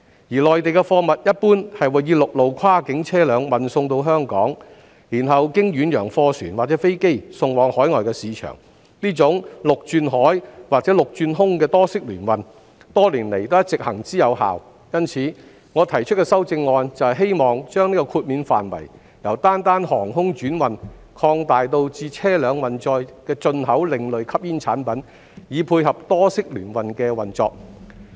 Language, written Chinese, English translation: Cantonese, 而內地的貨物一般會以陸路跨境車輛運送到香港，然後經遠洋貨船或飛機送往海外市場，這種陸轉海或陸轉空的多式聯運，多年來一直行之有效，因此，我提出的修正案就是希望將豁免範圍由單單航空轉運擴大至車輛運載的進口另類吸煙產品，以配合多式聯運的運作。, In general goods from the Mainland are first sent to Hong Kong by cross - boundary vehicles before being shipped to overseas markets by ocean - going vessels or planes . This land - sea or land - air multimodal transport has been functioning effectively throughout the years . Hence my amendment seeks to expand the scope of exemption from air transhipment cargos only to importation of ASPs by vehicles so as to tie in with the operation of multimodal transport